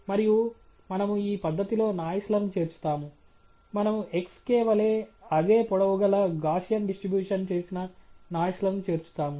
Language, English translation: Telugu, And we add noise in this fashion right; we add Gaussian distributed noise of the same length as xk